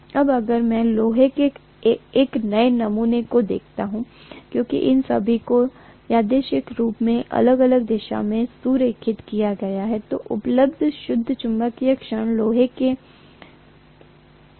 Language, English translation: Hindi, Now if I look at a new sample of iron, because all of them are randomly aligned in different directions, the net magnetic moment available is 0 in a new sample of iron